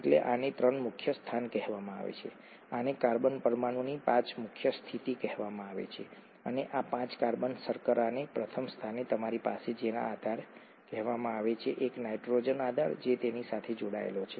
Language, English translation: Gujarati, So this is called the three prime position, this is called the five prime position of the carbon atom and to this five carbon sugar, to the first position, you have what is called as a base, a nitrogenous base that is attached to it